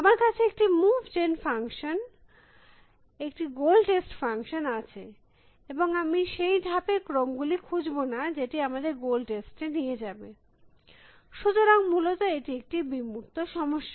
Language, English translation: Bengali, I have a move gen function, I have a goal test function and I would not find the sequence of moves which will taking to the goal test and so, this is a very abstract problem essentially